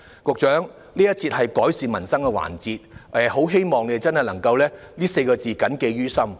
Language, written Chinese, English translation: Cantonese, 這節辯論的範疇關乎"改善民生"，我很希望局長會把這4個字謹記於心。, This debate session is dedicated to the policy area of improving peoples livelihood . I very much hope that the Secretary will keep these words in mind